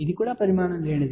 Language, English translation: Telugu, It was a dimensionless